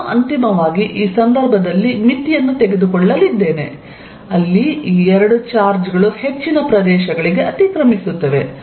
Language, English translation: Kannada, I am finally, going to take the limit in this case, where these two charges will overlap for most of the regions